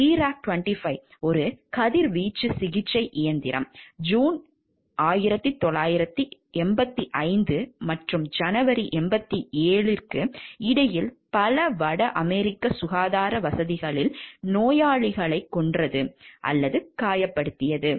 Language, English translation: Tamil, The Therac 25 a radiation therapy machine killed or injured patients at several north American health care facilities between June 1985 and January 87